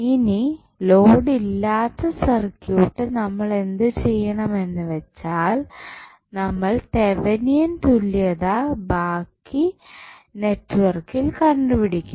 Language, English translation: Malayalam, Now, the circuit which is left without load, what you have to do you have to find the Thevenin equivalent of the rest of the network